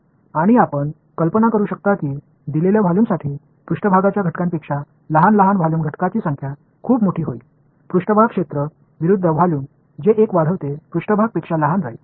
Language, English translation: Marathi, And you can imagine that for a given volume, the number of small small volume elements will become much larger than the elements that are on the surface right; surface area versus volume which one grows surface remains smaller than volume right